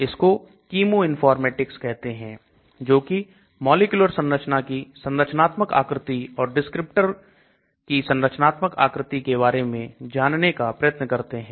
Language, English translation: Hindi, So that is called chemiinformatics, which tries to find out the structural features and or structural descriptors of molecular structure